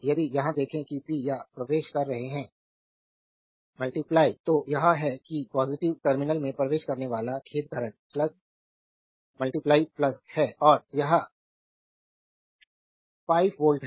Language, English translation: Hindi, If you look into that here power entering into the sorry current entering into the positive terminal this is plus right and this is the 5 volt